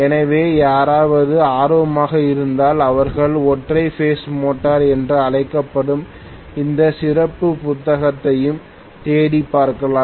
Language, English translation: Tamil, So, if anybody is interested, they should refer to any special book called single phase motor